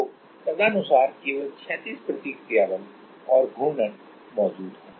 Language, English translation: Hindi, So, accordingly only the horizontal reaction force and moment will be present